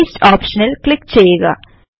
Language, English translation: Malayalam, Click on the Paste option